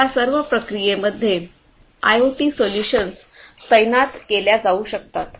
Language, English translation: Marathi, So, all of these basically in this entire process, IoT solutions could be deployed